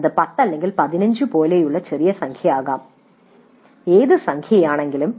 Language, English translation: Malayalam, It could be a small number like 10 or 15, whatever be the number